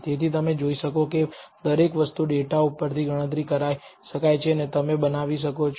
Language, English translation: Gujarati, So, every one of this can be computed from the data as you can see and you can construct